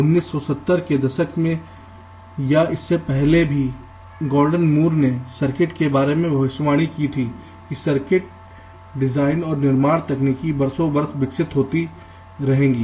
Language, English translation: Hindi, gordon moore in the nineteen seventies, even earlier then, that he predicted the way the circuit, you can say the circuit design and fabrication technology, would evolve over the years